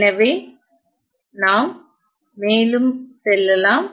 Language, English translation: Tamil, So, let us move on